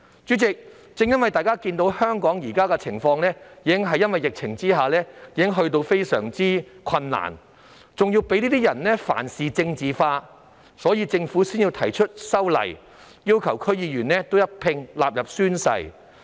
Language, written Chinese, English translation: Cantonese, 主席，由於大家都看到香港在現時的疫情下已經困難重重，而這些人仍事事政治化，所以政府才提出修例，要求區議員宣誓。, President as we can all see Hong Kong has faced considerable difficulties amid the current epidemic but these people still politicize everything . This is why the Government has proposed legislative amendments to require DC members to take an oath